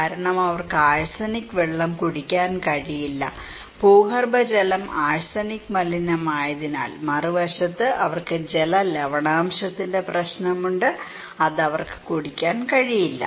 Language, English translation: Malayalam, The reason is that they cannot drink arsenic water, groundwater because it is arsenic contaminated, on the other hand, they have a problem of water salinity that is surface water they cannot drink